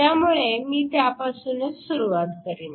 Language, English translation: Marathi, So, let me start with that first